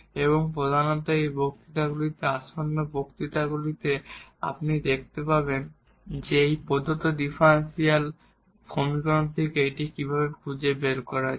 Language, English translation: Bengali, And mainly in this lectures upcoming lectures you will see actually how to find this from this given differential equation, how to get this family of curves